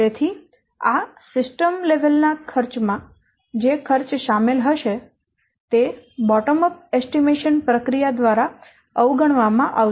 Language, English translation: Gujarati, So, the cost that will be involved in these system level cost may be overlooked by this bottom of estimation process